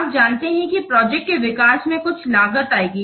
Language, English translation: Hindi, You know that development of the project will incur some cost